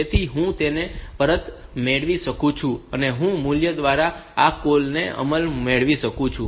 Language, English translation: Gujarati, So, that I can get and I can get the implementation of this call by value